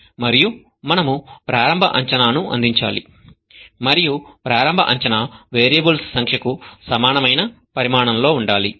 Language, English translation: Telugu, And we need to provide initial guess and the initial guess has to be of the same dimension as number of variables